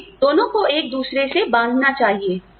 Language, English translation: Hindi, We should inter twine the two